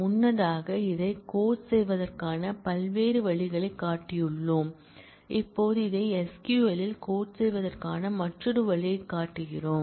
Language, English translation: Tamil, Earlier we have shown different ways of coding this, now we are showing yet another way to be able to code this in SQL